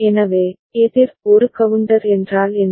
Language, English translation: Tamil, So, counter what is a counter